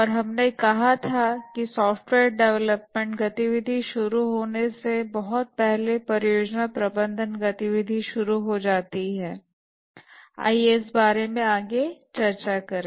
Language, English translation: Hindi, And we had said that the project management activities start much before the software development activity start